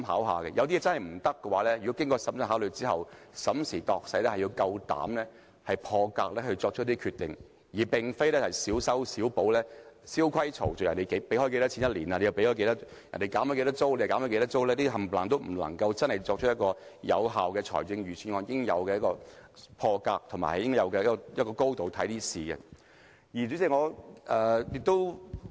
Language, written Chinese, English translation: Cantonese, 如果有些做法不可行，經過審慎考慮，審時度勢之後，要大膽破格作出一些決定，而非小修小補，蕭規曹隨，別人每年付多少錢便跟着付多少錢、別人減多少租便跟着減多少租，這些全都不是有效的預算案所應有的破格思維和以應有的高度來考慮事情。, If certain approach proves to be unfeasible then after giving due consideration and critically assessing the real situation we must make some drastic decisions and break the old protocol instead of making piecemeal patch - ups and following the established paths . This Budget should not follow the footsteps of others in making payments of reducing rents that is not thinking out of the box and making consideration form a higher level perspective which are prerequisites of an effective Budget